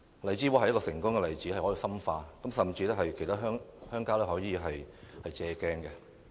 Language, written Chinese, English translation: Cantonese, 荔枝窩是一個成功例子，可以深化，甚至值得其他鄉郊借鏡。, In this regard Lai Chi Wo is a successful project . It merits intensification and can even serve as an example to other rural areas